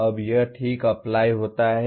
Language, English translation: Hindi, Now this is Apply alright